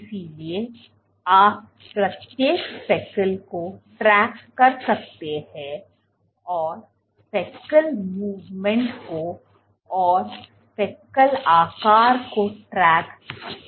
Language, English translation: Hindi, So, you can track each speckle and you can track speckle movement you can track speckle movement and you can track speckle size